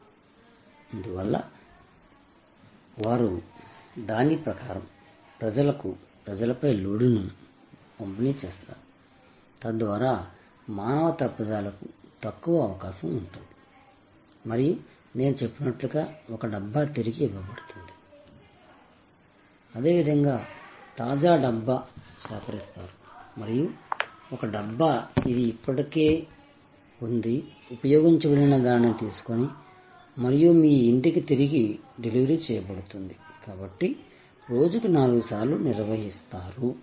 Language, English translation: Telugu, And therefore, they distribute the load on people accordingly, so that there is less chance of human error and as I said, there are one Dabba is returned, a fresh Dabba is picked up and similarly, one Dabba is picked up, which is already been used and is handed over for the delivery back to your home, so four handlings per day